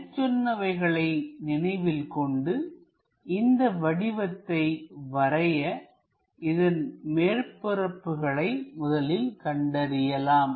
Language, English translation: Tamil, With those observations for this drawing let us identify the surfaces